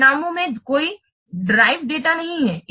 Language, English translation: Hindi, The results contains no derived data